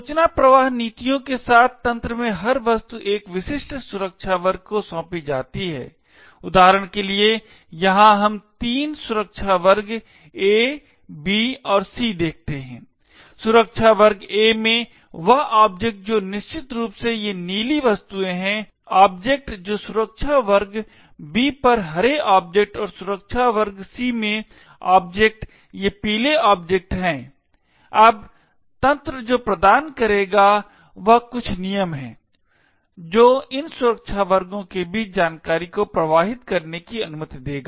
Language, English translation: Hindi, the system is assigned to a specific security class, for example over here we see three security classes A, B and C, the object in the security class A that is essentially these the blue objects, the objects in the security class B on the green objects and the object in the security class C are these yellow objects, now what the system would provide is some rules which would permit information to flow between these security classes